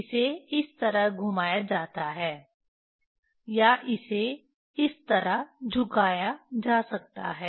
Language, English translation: Hindi, it is rotated this way or it can be tilted like this